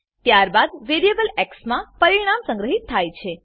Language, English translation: Gujarati, Then the result is stored in variable x